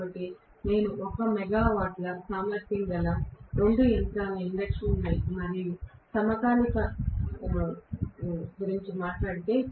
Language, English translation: Telugu, So, I say that 1 megawatt synchronous machine and 1 megawatt induction machine